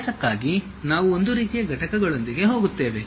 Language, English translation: Kannada, For practice we will go with one kind of system of units